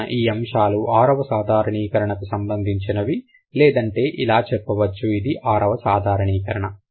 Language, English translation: Telugu, So, that's about the sixth generalization or you can say generalization six